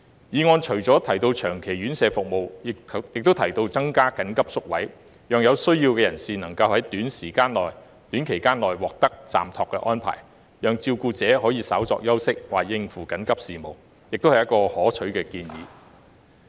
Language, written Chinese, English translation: Cantonese, 議案除了提到長期院舍服務，亦有提到增加緊急宿位，讓有需要人士能於短時間內獲得暫託安排，讓照顧者可以稍作休息或應付緊急事務，這也是可取的建議。, Apart from long - term residential care services the motion also mentions increasing the number of emergency places to enable persons in need to receive respite arrangements within a short time so that carers may take a short break or attend to other urgent matters . This proposal is worthy of consideration